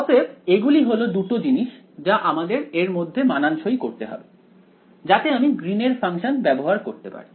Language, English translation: Bengali, So, these are the 2 things I have to sort of fit in, so, that I can use Green's function